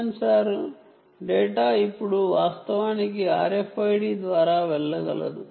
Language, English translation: Telugu, data sensor data can now actually go via r f i d